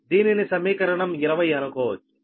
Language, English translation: Telugu, this is equation twenty two